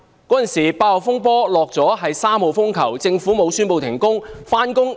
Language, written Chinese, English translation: Cantonese, 當時8號風球已除下，改掛3號風球，而政府沒有宣布停工。, The Government did not announce an official day off even after Typhoon Warning Signal No . 8 had been lowered to Typhoon Warning Signal No . 3 then